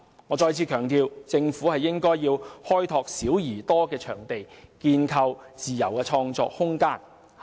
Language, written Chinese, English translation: Cantonese, 我再次強調，政府應該開拓"小而多"的場地，建構自由的創作空間。, I stress once again that the Government should develop various small venues and create room for free creative pursuits